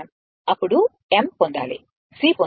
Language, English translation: Telugu, Then you have to obtain m you have to obtain C right